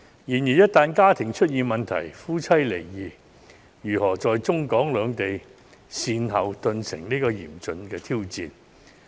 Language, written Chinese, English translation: Cantonese, 然而，這些家庭一旦出現問題，夫妻離異告終，則如何在中、港兩地善後，頓成嚴峻的挑戰。, However once these families have problems and the marriages end in divorce it would pose a compelling critical challenge to them in sorting things out both in the Mainland and Hong Kong in the aftermath of divorce